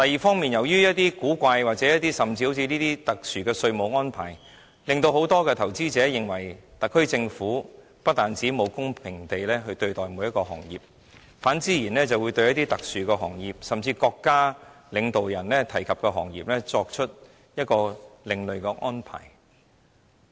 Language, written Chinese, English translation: Cantonese, 此外，由於一些古怪、甚至好像這些特殊的稅務安排，令很多投資者認為特區政府不但沒有公平地對待每一個行業，更對一些特殊行業，對國家領導人提及的行業作出另類安排。, The introduction of some strange tax arrangements including these special tax measures has made investors consider that the SAR Government has failed to provide a level playing field for all industries to start on . Instead it will make different arrangements for some special industries particularly mentioned by State leaders